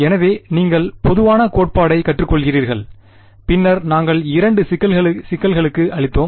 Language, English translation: Tamil, So, you learn the general theory and then we applied to two problems ok